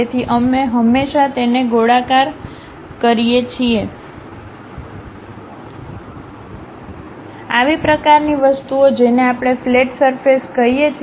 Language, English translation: Gujarati, So, we always round it off, such kind of things what we call fillet surfaces